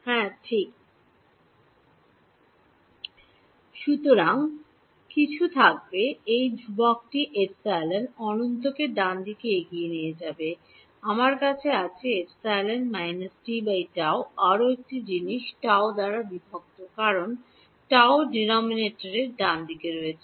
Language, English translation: Bengali, So, there will be some this constant will carry forward epsilon infinity right, I have E to the minus t by tau one more thing will be there by tau divided by tau because its tau is in the denominator right